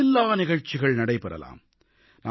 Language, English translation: Tamil, There must be innumerable incidents